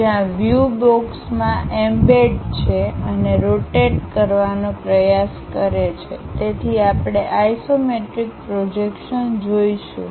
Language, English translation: Gujarati, Where the views are embedded in a box and try to rotate so that, we will see isometric projections